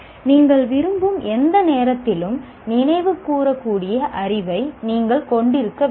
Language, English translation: Tamil, You need to have some amount of knowledge that can be recalled any time that you want